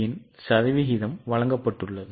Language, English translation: Tamil, Percentage of variability has been given